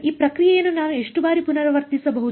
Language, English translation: Kannada, How many times can I repeat this process